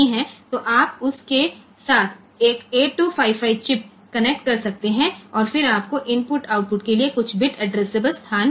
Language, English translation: Hindi, So, you can connect one 8255 chip with that and, then you get some bit addressable locations for input output